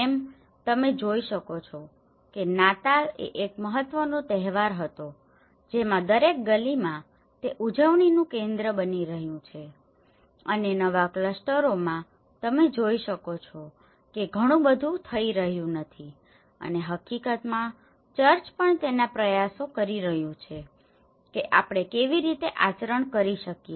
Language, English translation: Gujarati, Like, you can see the Christmas was one of the important festival live in every street it is becoming a celebration and in the new clusters you can see that not much is happening and in fact, the church is also making its efforts how we can conduct the open masses in the sea shore and things like that